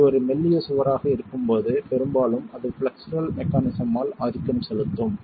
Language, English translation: Tamil, When it is a slender wall most often it is going to be dominated by flexural mechanisms